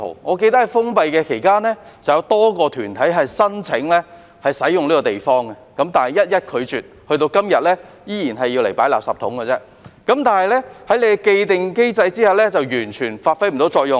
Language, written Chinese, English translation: Cantonese, 我記得在封閉期間，曾有多個團體申請使用這個地方，但被一一拒絕，至今仍然只是用來存放垃圾桶，在既定機制下完全不能發揮作用。, I remember that during the closure period a number of organizations had applied for the use of this place but all being rejected one after another . Today it is still only used for storing refuse bins which is completely ineffective under the established mechanism